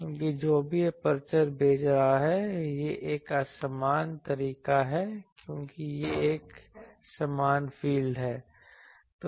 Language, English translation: Hindi, Because whatever aperture is sending; so that is an easier way because it is an uniform field